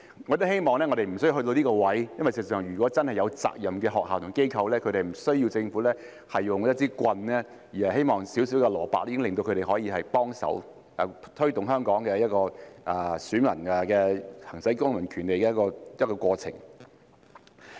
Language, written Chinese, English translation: Cantonese, 我亦希望不需要走到這一步，因為事實上，如果真的是負責任的學校和機構，它們是不需要政府使用一支棍的，而是小小的蘿蔔已可令他們幫忙推動香港的選民行使公民權利的過程。, I also hope that we would not need to go this far because in fact if the schools and NGOs are indeed responsible the Government would not need to use a stick but a small carrot would be enough to make them help to facilitate the process of exercising civil rights by voters of Hong Kong